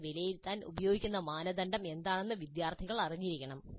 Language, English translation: Malayalam, Students must know what would be the criteria on which they are going to be assessed and evaluated